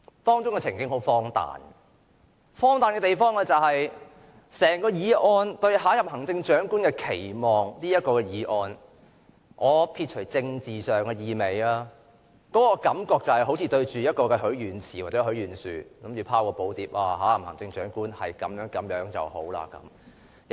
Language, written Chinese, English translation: Cantonese, 當中的情景很荒誕，荒誕的地方是整項"對下任行政長官的期望"的議案，我撇除政治上的意味，這感覺就好像對着許願池或許願樹，我們拋寶牒，期望下任行政長官最好是如此這般。, The scene is rather absurd absurd in the sense that denuded of its political overtone the whole motion on Expectations for the next Chief Executive is somewhat like a wishing fountain or a wishing tree . We all throw joss papers expressing various expectations for the next Chief Executive